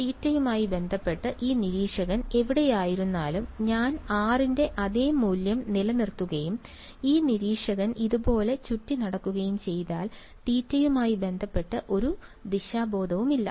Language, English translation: Malayalam, Now wherever this r observer is with respect to theta; if I keep the same value of r and this observer walks around like this, there is no orientation with respect to theta anymore right